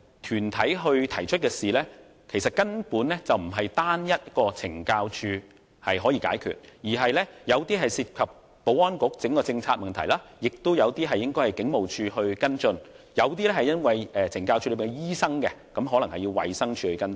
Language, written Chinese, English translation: Cantonese, 團體提出的事宜，根本不是單單懲教署可以解決，其中有些涉及保安局的整體政策，亦有些應該由警務處跟進；有些與懲教署的醫生有關，可能要由衞生署跟進。, Essentially CSD alone could not solve those issues raised by the deputation . Amongst the issues some involved the general policy of the Security Bureau while some should be followed up by the Police Force . Some were related to the doctors of CSD which might need to be followed up by DH